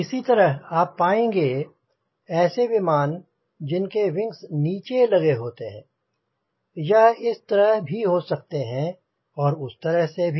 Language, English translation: Hindi, similarly, you will find aircraft having wings like this located at the bottom